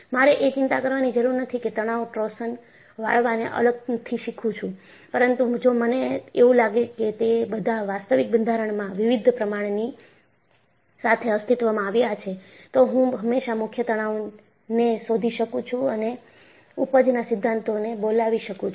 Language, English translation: Gujarati, If I do not have to worry, I learn tension, torsion, bending separately, but if I find all of them exist with various proportions in an actual structure, I can always find out the principal stresses and invoke the yield theories